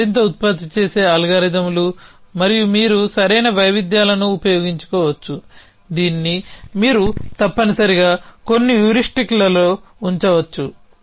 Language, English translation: Telugu, This is the more generate algorithms an you can off course right variations this you can put in some heuristic and so on essentially